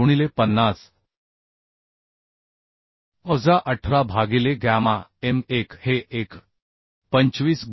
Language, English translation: Marathi, 9 into 50 minus 18 by gamma m1 is 1